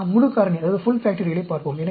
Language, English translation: Tamil, Let us look at the full factorial